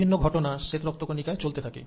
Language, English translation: Bengali, And one good example is the white blood cells